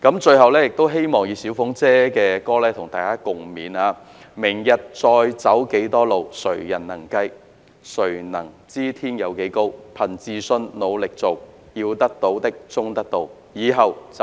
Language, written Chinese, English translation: Cantonese, 最後，希望再次引用"小鳳姐"的歌曲與大家共勉："明日再要走幾多路，誰人能計，誰能知天有幾高，憑自信努力做，要得到的終得到，以後就算追憶也自豪"。, Finally as mutual encouragement let me once again quote the lyrics of the song by Paula TSUI mentioned just now as follows How far we need to travel tomorrow no one can predict no one knows how high the sky would be; Just try hard with self - confidence attain finally what is aimed and we can remember with pride in future days